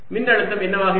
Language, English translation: Tamil, what will be the potential